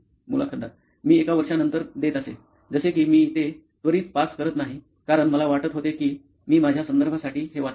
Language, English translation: Marathi, I used to give it after a year, like I used to not pass it on immediately because I thought I would read it for my reference